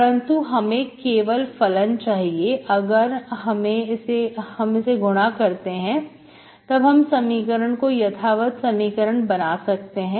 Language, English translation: Hindi, But I need only function, if I multiply this, I make the equation exact